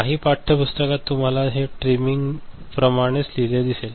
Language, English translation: Marathi, In some textbook, you will see that is same as written as trimming